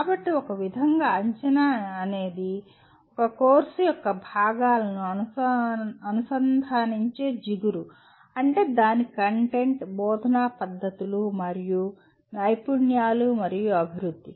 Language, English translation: Telugu, So in a way assessment is a glue that links the components of a course, that is its content, instructional methods and skills and development, okay